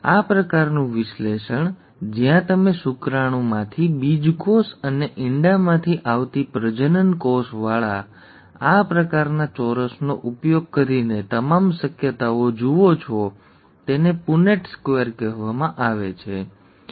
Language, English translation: Gujarati, This kind of an analysis where you look at all possibilities by using this kind of a square with the gametes from the sperm and the gamete from the eggs is called a ‘Punnett Square’, okay